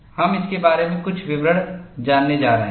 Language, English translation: Hindi, We are going to learn certain details about it